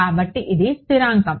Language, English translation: Telugu, So, this is a constant with